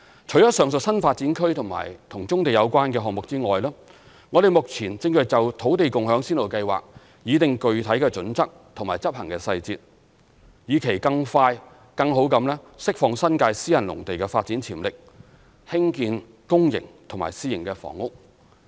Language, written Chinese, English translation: Cantonese, 除上述新發展區及與棕地有關的項目外，我們目前正就土地共享先導計劃擬定具體準則及執行細節，以期更快更好地釋放新界私人農地的發展潛力興建公營及私營房屋。, Apart from the aforesaid NDAs and projects relating to brownfield sites we are now in the process of drawing up specific criteria and implementation details of the Land Sharing Pilot Scheme with a view to unleashing the development potential of private agricultural lots in the New Territories for the construction of both public and private housing in a faster and better way